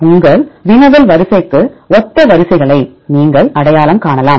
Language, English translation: Tamil, You can identify the sequences which are similar to your query sequence